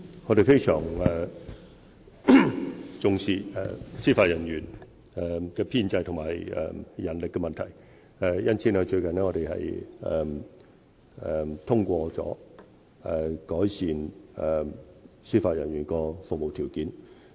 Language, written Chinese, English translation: Cantonese, 我們非常重視司法人員的編制和人力問題，因此最近已通過改善司法人員的服務條件。, We have attached great importance to issues relating to the establishment and manpower of judicial personnel and have thus endorsed proposals to improve their conditions of service